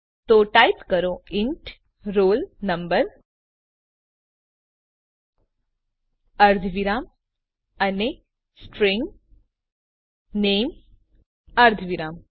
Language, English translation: Gujarati, So type int roll number semi colon and String name semi colon